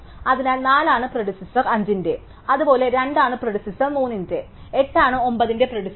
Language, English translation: Malayalam, So, 4 is the predecessor are 5, likewise 2 is the predecessor of 3 and 8 is the predecessor of 9, now we have this other value